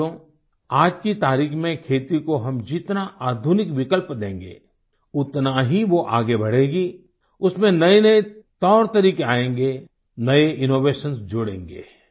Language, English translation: Hindi, Friends, in presenttimes, the more modern alternatives we offer for agriculture, the more it will progress with newer innovations and techniques